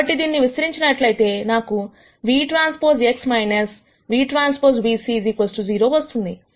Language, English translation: Telugu, So, if I expand this I will get v transpose X minus v transpose v c equals 0